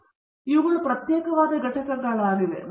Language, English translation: Kannada, So, these are discrete entities